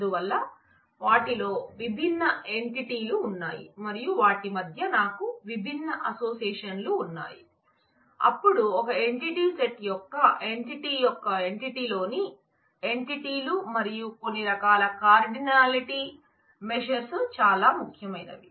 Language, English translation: Telugu, So, there are different entities in them and I have different associations between them, then the question is how many of the entity of one entity set is related to how many of the entities of the other entity set and certain types of cardinality measures are very important